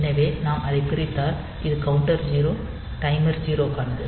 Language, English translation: Tamil, So, this is for 0 counter timer 0